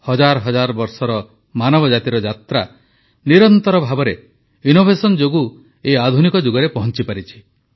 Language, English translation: Odia, The journey of the human race, spanning thousands of years has reached this modern phase on account of continuous innovation